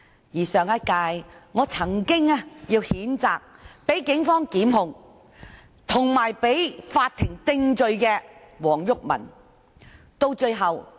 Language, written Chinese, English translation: Cantonese, 而我亦曾經在上屆，要求譴責遭警方檢控及被法庭定罪的前議員黃毓民。, In the last term I also requested to condemn Mr WONG Yuk - man for being prosecuted by the Police and convicted by the court